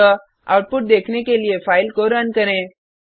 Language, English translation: Hindi, So Let us run the file to see the output